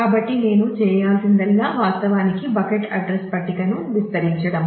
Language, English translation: Telugu, So, all that I need to do is to actually expand the bucket address table